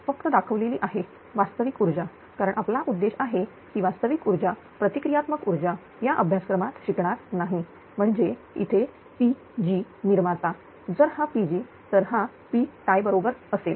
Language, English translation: Marathi, So, this is a P, it a real power only showing because our objective will be real power only reactive power will not study in this course right so; that means, here P g is the generation if this is the pg pg should be is equal to the P tie one two plus the load right